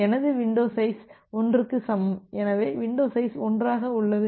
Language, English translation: Tamil, So, my window size is equal to 1, so window size of 1